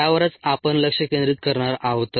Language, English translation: Marathi, that's where we are going to focus on